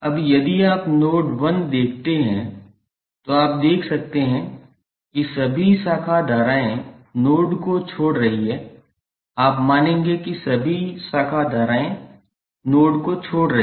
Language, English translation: Hindi, Now, if you see node 1 you can see you can assume that all branch current which are leaving the node you will assume that all branch currents are leaving the node